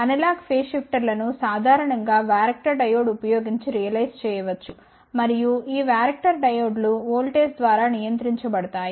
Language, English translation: Telugu, Analog phase shifters can be generally realized using varactor diode, and these varactor diodes are then controlled by voltage